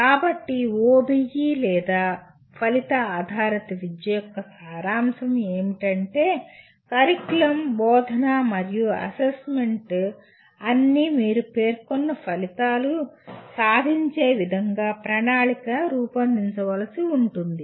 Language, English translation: Telugu, So the essence of OBE or outcome based education is that the curriculum and instruction and assessment are all to be planned around what you state as outcomes